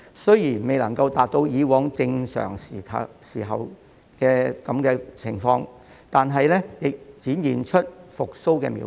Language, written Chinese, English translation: Cantonese, 雖然未能達到以往正常時候的水平，但已展現出復蘇的苗頭。, Although the number falls short of the level during normal times its tourism industry has shown signs of recovery